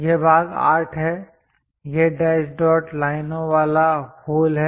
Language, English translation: Hindi, This part is 8; this is the hole with dash dot lines